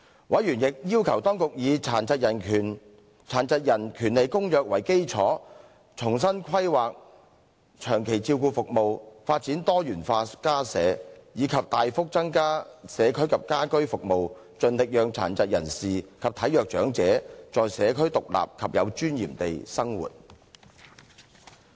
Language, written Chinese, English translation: Cantonese, 委員亦要求當局以《殘疾人權利公約》為基礎，重新規劃長期照顧服務，發展多元化家舍，以及大幅增加社區及家居服務，盡力讓殘疾人士及體弱長者在社區獨立及有尊嚴地生活。, Members also called on the Government to on the basis of the Convention on the Rights of Persons with Disabilities make afresh planning on long - term care services develop diversified home - like care homes and substantially increase community and home - based services so that every endeavour would be made to enable persons with disabilities and frail elderly persons to live independently in the community with dignity